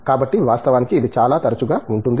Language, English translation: Telugu, So, in fact, it can be as often as it can be